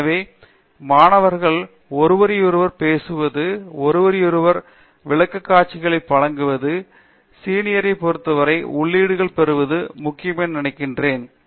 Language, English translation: Tamil, So, I think it’s important that the students talk to each other, give presentations to each other, get inputs from the peer the seniors